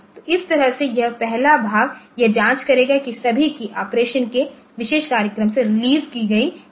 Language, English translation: Hindi, So, this way this first part so this will be doing the check that all keys are released from the operation the rest of the program